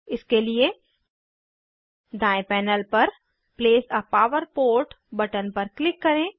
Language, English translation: Hindi, For this, On the right panel, click on Place a power port button